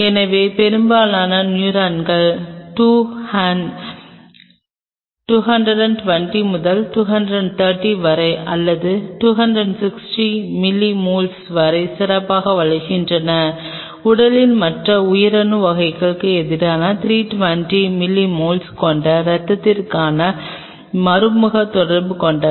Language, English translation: Tamil, So, most of the neurons grows better between 2 hun 220 to 230 or even up to 260 milliosmoles, as against the other cell types of the body which are indirect contact with the blood which are around 320 milliosmoles